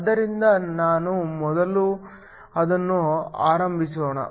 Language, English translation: Kannada, So, let me start with that first